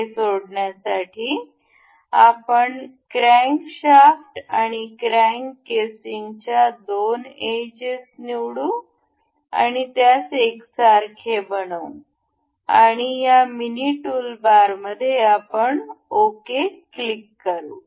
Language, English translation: Marathi, So, to fix this we will select the two edges of crankshaft, and this crank casing and we will to make it coincide and we will select ok in this mini toolbar